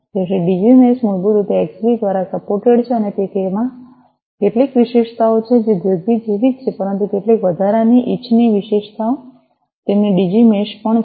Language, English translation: Gujarati, So, Digi mesh is basically supported by Xbee and it has certain features that are similar to ZigBee, but certain additional desirable features are also their Digi mesh